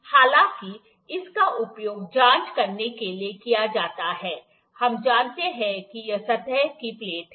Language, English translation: Hindi, However, this is used to check, those we know this is the surface plate